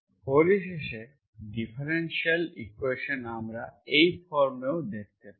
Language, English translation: Bengali, Finally differential equation, we can also see that, we can also see in this form